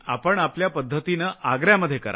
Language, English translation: Marathi, No, in your own way, do it in Agra